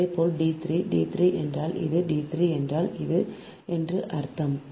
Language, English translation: Tamil, similarly, d three, d three means this one, d three means this one right